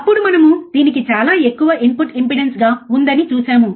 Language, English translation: Telugu, Then we will see it as a extremely high input impedance